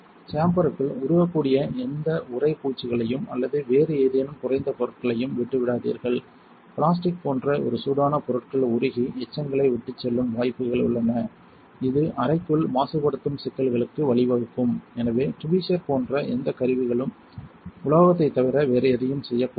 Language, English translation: Tamil, Do not leave any text mites or any other item low material that could possibly melt inside the chamber; one heated materials such as plastic are prone to melt and leave behind residue, which could in turn lead to contamination issues inside the chamber therefore, it is imperative that any tools you may wish to use such as tweezers not be made of anything other than metal